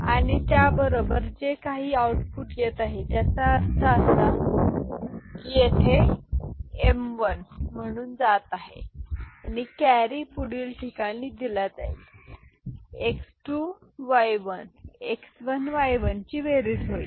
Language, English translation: Marathi, And with that whatever output is coming I mean, that is going here as m1 and the carry will be fed to the next place this x2 y naught, x1 y1 addition